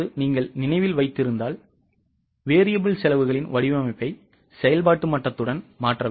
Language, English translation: Tamil, If you remember variable cost by design is intended to change with the level of activity